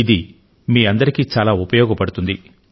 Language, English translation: Telugu, It can be a great help to you